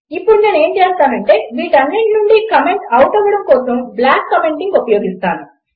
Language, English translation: Telugu, Now what Ill do is Ill use block commenting to comment out all of these